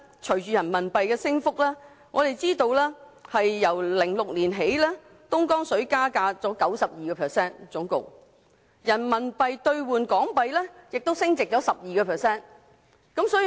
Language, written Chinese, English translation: Cantonese, 隨着人民幣不斷升值，由2006年起，人民幣兌港元升值 12%， 而香港購買東江水的價格升幅更達 92%。, With the constant appreciation of RMB the value of RMB has risen 12 % against Hong Kong Dollar since 2006 and the price of Dongjiang water purchased by Hong Kong has even risen by 92 %